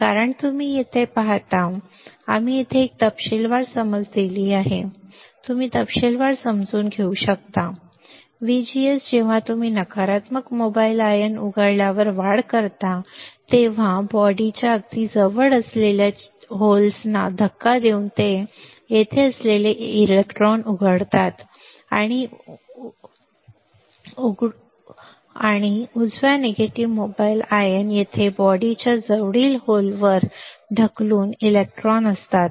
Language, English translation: Marathi, Because you see here, we have given a detail understanding here you can see the detail understanding, VGS when you increase on uncovering of negative mobile ions take place by pushing holes near the body right uncovering of the electrons that is here, we will take place right negative mobile ions is here electrons by pushing holes near the body